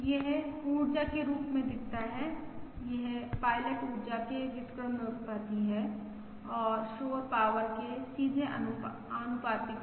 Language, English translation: Hindi, This shows as the energy, this is inversely proportional to the pilot energy and directly proportional to the noise power